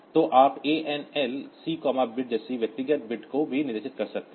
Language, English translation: Hindi, So, you can specify individual bit also like ANL C, bit